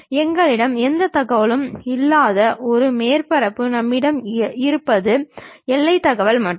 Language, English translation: Tamil, A surface inside of that which we do not have any information, what we have is only the boundary information's we have